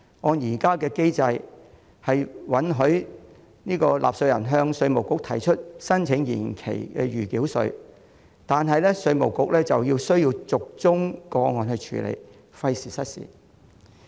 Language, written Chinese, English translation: Cantonese, 按照現行機制，納稅人可向稅務局申請緩繳暫繳稅，但稅務局要逐宗個案處理，費時失事。, Under the existing mechanism taxpayers may apply to the Inland Revenue Department IRD for holdover of provisional tax . Yet IRD has to process the applications on a case - by - case basis which is cumbersome